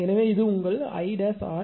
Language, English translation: Tamil, So, this is I c